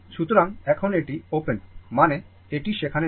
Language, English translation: Bengali, So now, this is open means, it is not there